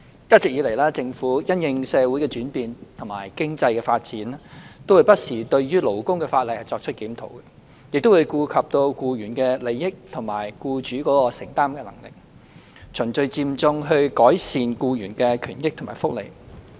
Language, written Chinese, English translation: Cantonese, 一直以來，政府因應社會的轉變和經濟發展，會不時對勞工法例作出檢討，並顧及僱員的利益，以及僱主的承擔能力，循序漸進地改善僱員的權益和福利。, The Government has as always reviewed labour laws from time to time to gradually improve the rights interests and benefits of employees in the light of social changes and economic development taking into account employees interest and also employers affordability